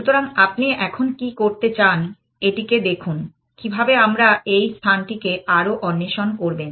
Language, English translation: Bengali, So, what do you want to now, look at this is, how do we explore this space more